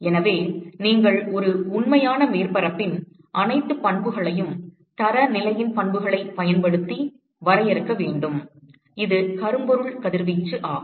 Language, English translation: Tamil, So, you want to define all the properties of a real surface using the properties of the standard, which is the blackbody radiation